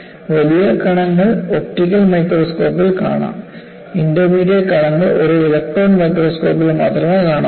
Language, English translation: Malayalam, The large particles are visible in optical microscope, the intermediate particles are visible only in an electron microscope